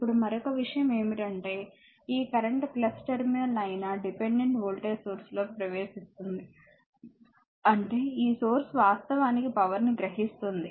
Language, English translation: Telugu, Now, the another thing is this current is entering into the dependent voltage source the plus terminal; that means, this source actually absorbing power